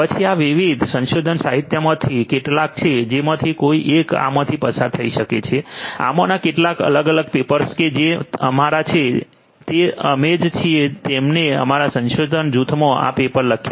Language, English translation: Gujarati, Then these are some of these different research literature that one could go through these are some of these different papers that belong to us we are the ones who have authored these papers in our research group